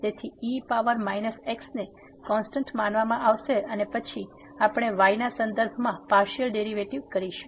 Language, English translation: Gujarati, So, power minus will be treated as constant and then, when we take the partial derivative with respect to